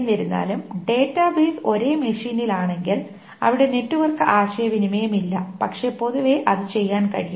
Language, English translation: Malayalam, If however the database is in the same machine then there is no network communication but in general it can be done